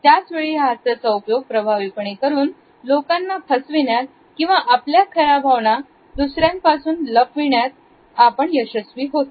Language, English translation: Marathi, At the same time, a smiles can also be used in an effective way as manipulating agents, distracting the other people from understanding our true feelings